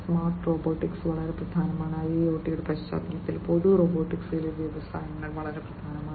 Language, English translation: Malayalam, Smart robotics is very important in the context of IIoT industry industries in general robotics is very important